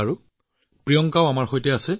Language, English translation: Assamese, Ok, Priyanka is also with us